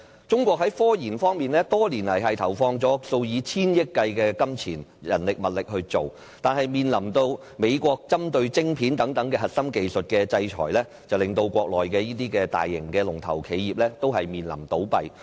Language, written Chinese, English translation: Cantonese, 中國在科研方面多年來投放數以千億元計的金錢、人力和物力，但面臨美國針對晶片等核心技術的制裁，令國內的大型龍頭企業面臨倒閉。, Over the years China has been putting huge manpower and material resources worth hundreds of billions into technological research . But still when faced the American sanction on such core technologies as microchips large Mainland enterprises are driven to the verge of closure